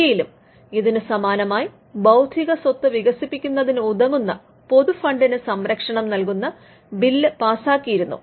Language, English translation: Malayalam, In India we had a similar attempt there was a bill which was passed which covered the public funds used in developing intellectual property